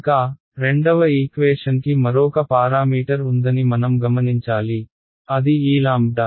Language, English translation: Telugu, Further, I notice the second equation has one more parameter that has come upon which is this guy lambda